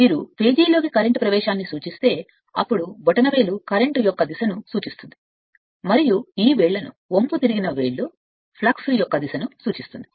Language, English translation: Telugu, And if you use current entering into the page then the thumb will be what you call the direction of the current and this fingers, the curling fingers will be the direction of the flux right